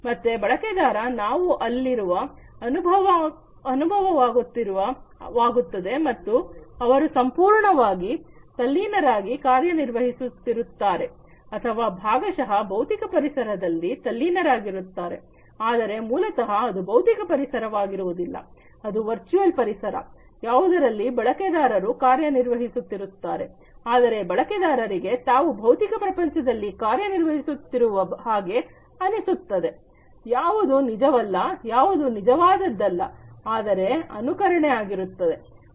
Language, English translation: Kannada, So, user feels that the user is there and he is operating completely immersed or partially immersed in the physical environment, but actually it is not a physical environment, it is a virtual environment, in which the user is operating, but the user feels that the user is operating in the real physical world, which is not correct which is not the real one, but a simulated one